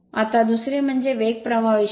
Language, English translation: Marathi, Now, second is speed current characteristic